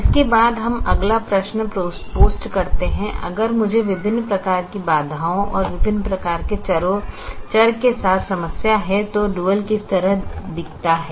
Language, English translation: Hindi, now we than pose the next question of if i have a problem with different types of constraints and different types of variables, how does the dual looked like